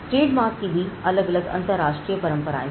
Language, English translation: Hindi, Now, trademark again has different international conventions